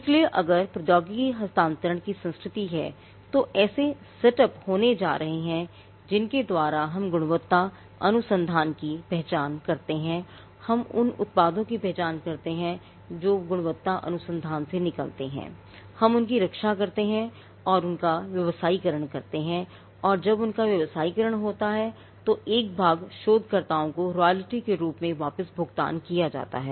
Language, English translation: Hindi, So, if there is a culture of technology transfer then there is going to be setups by which we identify quality research, we identify the products that come out of quality research, we protect them and we commercialize them and when they are commercialized, a portion is paid back to the researchers as royalty